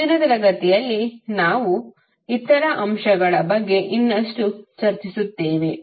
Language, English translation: Kannada, In next session, we will discuss more about the other elements